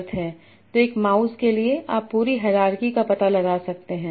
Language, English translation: Hindi, So for science one mouse, you can find out the complete hierarchy